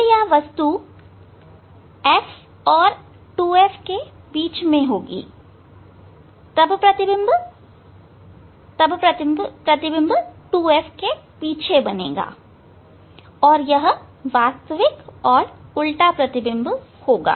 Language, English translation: Hindi, When this object will be between F and 2F, then this image will be behind the 2F behind the 2F and it will be real image and inverted one